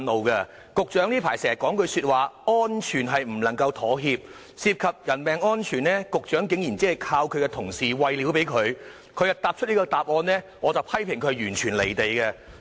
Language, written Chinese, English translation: Cantonese, 雖然局長近來經常說"安全不能夠妥協"，但對於涉及人命的樓宇安全，他竟然只是依靠同事給予的資料而作出這答覆，顯示他完全"離地"。, Although the Secretary often said recently that safety cannot be compromised he only relied on information given by his colleagues to answer this question on building safety which concerns human lives . This shows that he has totally lost touch with the public